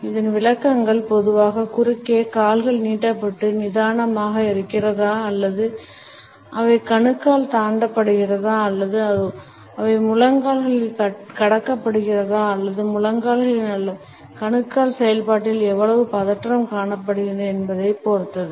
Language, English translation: Tamil, Interpretations of this commonly come across position depend on whether the legs are out stretched and relaxed or they are crossed at the ankles or they are crossed at the knees or how much tension is perceptible in their knees or in the ankle process